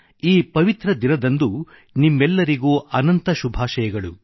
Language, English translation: Kannada, On this auspicious occasion, heartiest greetings to all of you